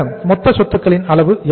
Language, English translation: Tamil, So what is the level of total assets